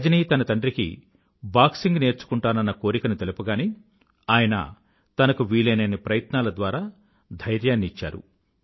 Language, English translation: Telugu, When Rajani approached her father, expressing her wish to learn boxing, he encouraged her, arranging for whatever possible resources that he could